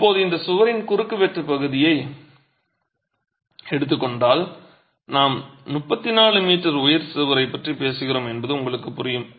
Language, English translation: Tamil, Now this wall if you were to take the cross section of the wall, you will understand that we are talking of a 34 meter high wall